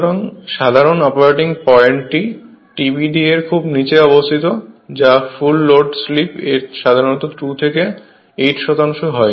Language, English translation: Bengali, So, the normal operating point is located well below TBD that is the maximum torque the full load slip is usually 2 to 8 percent right